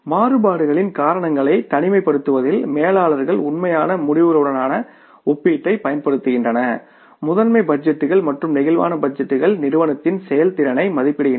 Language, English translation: Tamil, So, in isolating the causes of variances, managers use comparisons among actual results, master budgets and flexible budgets to evaluate the organization performance